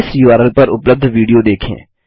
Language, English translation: Hindi, Watch the video available at this url